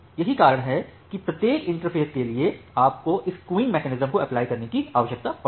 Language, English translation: Hindi, So, that is why for every interface, you need to apply this queuing mechanism